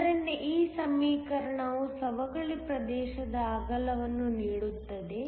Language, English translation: Kannada, So, this equation gives the width of the depletion region